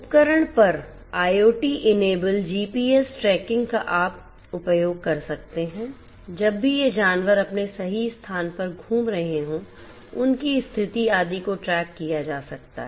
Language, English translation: Hindi, On the equipment IoT enablement can be done in terms of you know GPS tracking whenever you know these animals are moving around their exact location their position etcetera could be could be tracked